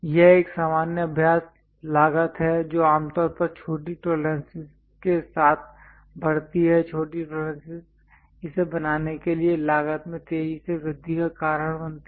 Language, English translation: Hindi, Its a common practice cost generally increases with smaller tolerances small tolerances cause an exponential increase in cost to make it